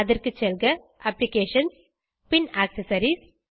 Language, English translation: Tamil, For that go back to Applications then go to Accessories